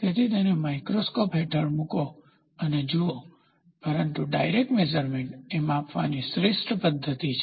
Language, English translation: Gujarati, So, put it under a microscope and look, but direct measurement is the best method to measure